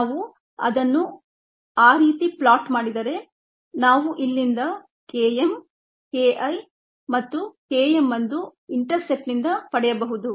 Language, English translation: Kannada, if we plotted that way, then we could get k m, k, k, k, i from here and k m from the intercept